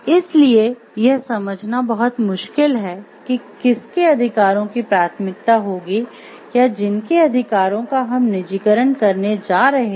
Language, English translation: Hindi, So, it is very difficult to understand like whose rights will have a priority or whose rights are we going to privatize